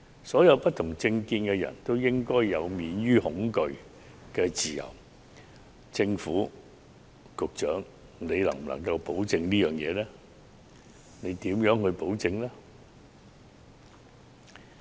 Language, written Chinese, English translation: Cantonese, 所有持不同政見人士均應享有免於恐懼的自由，政府和局長能否作出保證及如何保證呢？, This is totally unacceptable . People of different political stances should enjoy freedom without fear . Can the Government and the Secretary give us a guarantee and how they are going to give this guarantee?